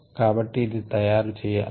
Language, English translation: Telugu, so that is what we are using